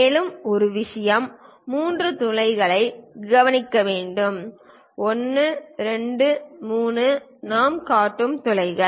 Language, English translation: Tamil, And one more thing one has to notice three holes; 1, 2, 3, holes we are showing